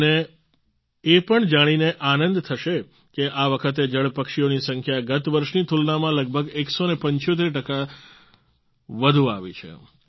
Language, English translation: Gujarati, You will also be delighted to know that this time the number of water birds has increased by about one hundred seventy five 175% percent compared to last year